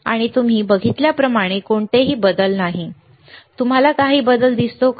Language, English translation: Marathi, And as you see, there is no change, can you see any change